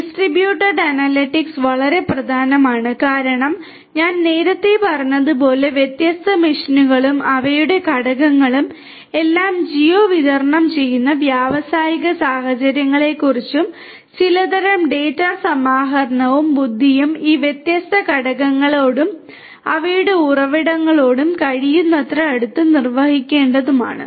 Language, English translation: Malayalam, Distributed analytics is very important because as I said earlier we are talking about industrial scenarios where different machines and their components are all geo distributed and some kind of data aggregation and intelligence will have to be performed as close as possible to these different components and their sources of origination